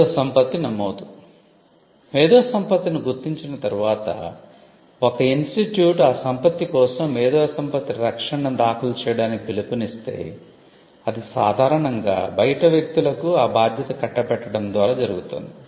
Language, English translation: Telugu, Registration of IP: once the IP is identified and the institute takes a call to file intellectual property protection for it, then it has to be done usually it is done by teaming up with third party service providers